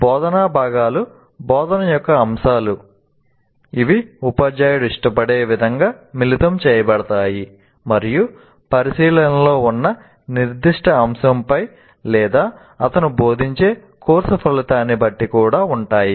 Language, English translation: Telugu, And the instructional components are, you can say, elements of instruction that can be combined in the way the teacher prefers and also depending on the particular topic under consideration or the course outcome that you are instructing in